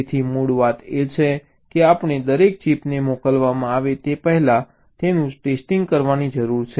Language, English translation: Gujarati, so the bottom line is we need to test each and every chip before they can be shipped